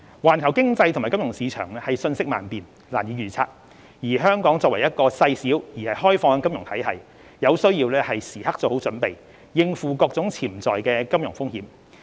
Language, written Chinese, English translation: Cantonese, 環球經濟及金融市場瞬息萬變，難以預測，香港作為一個細小而開放的金融體系，有需要時刻作好準備，應付各種潛在的金融風險。, The global economy and the financial market are volatile and unpredictable . Being a small and open economy Hong Kong needs to be well - prepared for tackling different kinds of potential financial risks